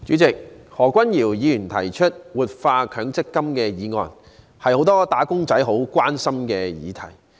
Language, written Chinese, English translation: Cantonese, 主席，何君堯議員提出的"活化強制性公積金"議案是很多"打工仔"關心的議題。, President the motion on Revitalizing the Mandatory Provident Fund moved by Dr Junius HO is a subject that many wage earners care about